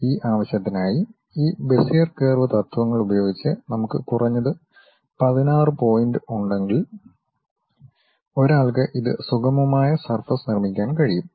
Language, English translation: Malayalam, For that purpose what we require is, if we have minimum 16 points by using these Bezier curves principles, one can construct this one a smooth surface